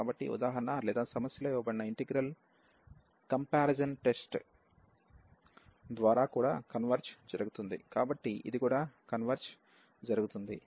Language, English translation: Telugu, So, the integral given in the problem will also diverge by the comparison test, so this will also diverge